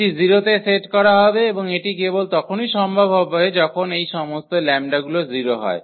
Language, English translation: Bengali, This will be set to 0 and this is only possible when all these lambdas are 0